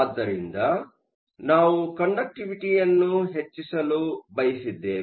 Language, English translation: Kannada, So, we wanted to increase the conductivity